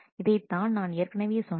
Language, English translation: Tamil, This is what I said earlier